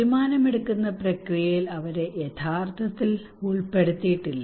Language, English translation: Malayalam, They are not really incorporated into the decision making process